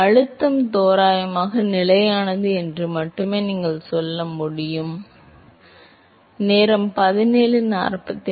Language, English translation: Tamil, So, all you can say that is only that the pressure is approximately constant that is all you can say